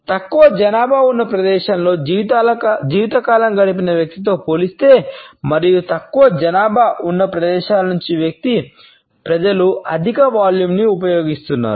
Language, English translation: Telugu, In comparison to a person who has spent a life time in sparsely populated place and those people who are from less populated places tend to use a higher volume